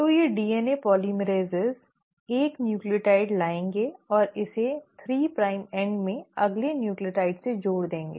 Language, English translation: Hindi, So these DNA polymerases will bring in 1 nucleotide and attach it to the next nucleotide in the 3 prime end